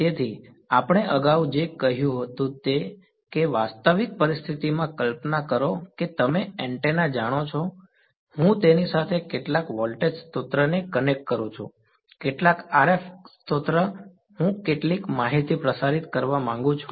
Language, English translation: Gujarati, So, what we said earlier was that in a realistic scenario imagine you know an antenna I connect some voltage source to it ok, some RF source, I wanted to broadcast some information